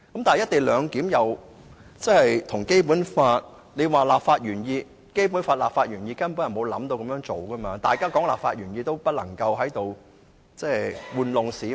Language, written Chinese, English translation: Cantonese, 但是，《基本法》立法原意根本沒有"一地兩檢"的構思，如果要看立法原意，便不能在這裏愚弄市民。, However the legislative intent of the Basic Law simply does not embody the idea of co - location . If we examine the legislative intent there is no way that wool can be pulled over the eyes of the public here